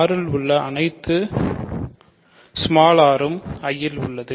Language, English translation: Tamil, So, for all r in R r is in I